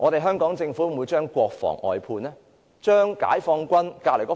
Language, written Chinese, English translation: Cantonese, 香港政府會否將國防外判呢？, Will the Hong Kong Government outsource national defence?